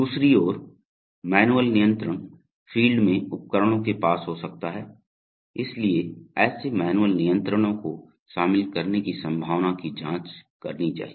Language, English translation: Hindi, On the other hand the manual controls may be near the equipment at the field, so the possibility of including such manual controls must be examined